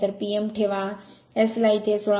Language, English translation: Marathi, So, put P m, put S here you will get 16